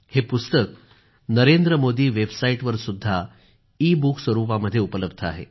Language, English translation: Marathi, This is also available as an ebook on the Narendra Modi Website